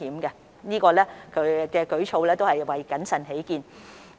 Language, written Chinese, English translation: Cantonese, 他們這項舉措是為了謹慎起見。, This move on their part is for the sake of prudence